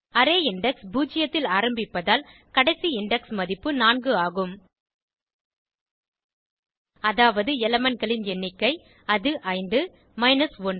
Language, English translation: Tamil, As array index starts from zero, the last index value will be 4 i.e number of elements, which is 5, minus 1